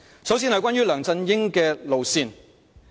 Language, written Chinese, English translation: Cantonese, 首先談談梁振英的路線。, I will first start with LEUNG Chun - yings governance approach